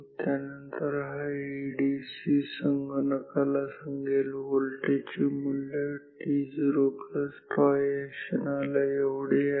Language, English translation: Marathi, After, that this ADC told the computer that, the value of the voltage is this much at the moment t naught plus tau